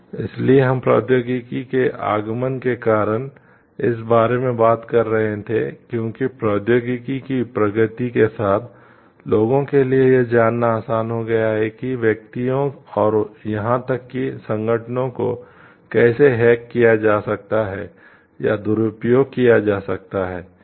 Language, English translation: Hindi, So, be that we were discussing it is because of the advent of technology because of the advancements in technology, it has become quite easy for people to know how to hack or get inappropriate access into the information of individuals and even organizations